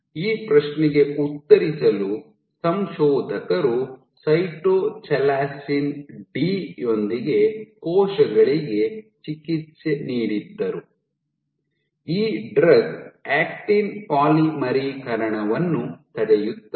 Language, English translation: Kannada, So, to answer this question what the authors did was they treated cells with Cytochalasin D, so this prevents, this drug it prevents actin polymerization ok